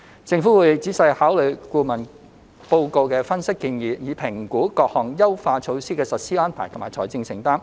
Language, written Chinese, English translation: Cantonese, 政府會仔細考慮顧問報告的分析和建議，以評估各項優化措施的實施安排和財政承擔。, The Government will carefully consider the analysis and recommendations set out in the consultants report and assess the implementation arrangements and financial commitment relating to the various optimization measures